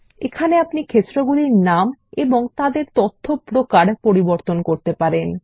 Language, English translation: Bengali, Here we can rename the fields and change their data types